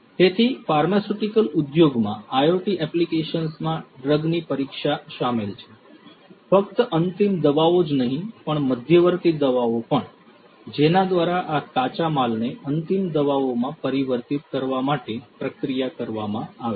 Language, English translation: Gujarati, So, IoT applications in pharmaceutical industry includes examination of the drugs and not just the final drugs, but also the intermediate ones through which the processes that are incurred in between in order to transform these raw materials into the final drugs